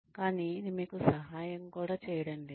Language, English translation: Telugu, But, it is not also helping you